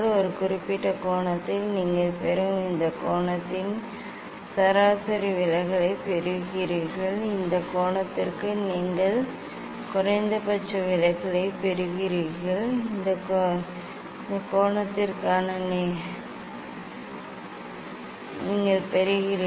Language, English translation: Tamil, for a particular angle you are getting what this angle you are getting mean deviation, for this angle you are getting minimum deviation, for this angle you are getting